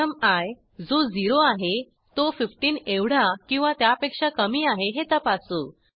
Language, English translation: Marathi, First we check whether i which is 0, is less than or equal to the number, which is 15